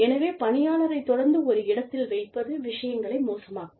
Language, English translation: Tamil, So, you know, constantly putting the employee in a spot is, going to make matters, worse